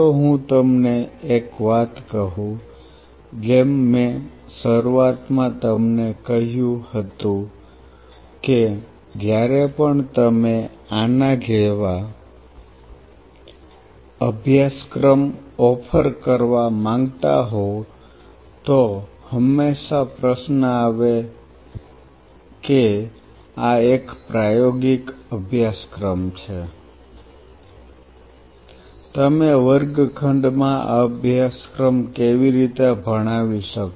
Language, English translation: Gujarati, Let me tell you one aspect as I told you in the beginning like whenever you wanted to offer a course like this is the question always come this is a practical course, how you can teach a course like that in the classroom